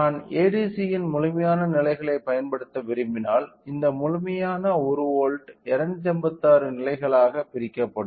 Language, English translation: Tamil, So, and if the bit resolution of ADC is 8 bit resolution we know that this complete 10 volts will be divided into 256 number of levels